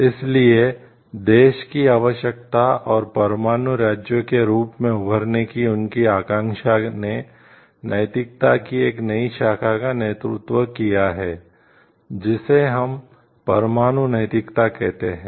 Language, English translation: Hindi, So, the need for the country and, their aspiration to emerge as nuclear states has led to a newer branch of ethics, which we call as nuclear ethics